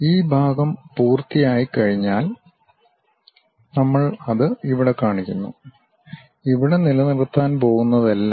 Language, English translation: Malayalam, Once we are done this part whatever we are going to retain that we are showing it here